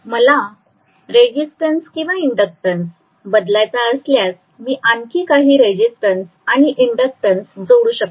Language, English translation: Marathi, If I want to modify the resistance or inductance I can include some more resistance, include some more inductance whatever I want to do